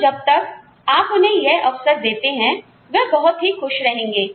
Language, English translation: Hindi, So, as long as you give those opportunities to them, they will be happy